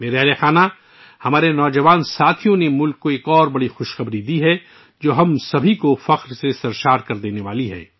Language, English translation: Urdu, My family members, our young friends have given another significant good news to the country, which is going to swell all of us with pride